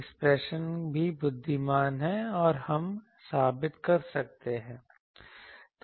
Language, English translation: Hindi, Expression also wise we could have proved that